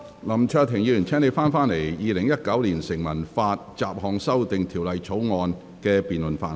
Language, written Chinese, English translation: Cantonese, 林卓廷議員，請你返回《2019年成文法條例草案》二讀辯論的議題。, Mr LAM Cheuk - ting please return to the subject of the Second Reading debate on the Statute Law Bill 2019